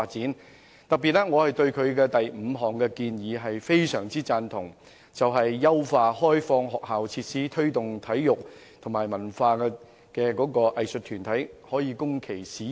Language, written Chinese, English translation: Cantonese, 我特別對議案提出的第五項建議非常贊同，即優化開放學校設施推動體育發展及供文化藝術團體使用。, In particular I am strongly in favour of the proposal under item 5 which seeks to enhance the Opening up School Facilities for Promotion of Sports Development Scheme and extend the scheme to make it accessible by cultural and arts groups